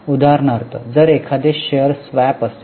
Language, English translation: Marathi, For example, if there is a share swap